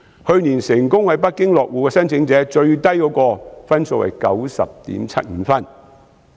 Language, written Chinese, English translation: Cantonese, 去年成功在北京落戶的申請者最低分是 90.75 分。, Last year the minimum score for applicants to successfully settle in Beijing was 90.75